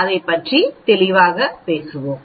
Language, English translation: Tamil, So, we will talk about that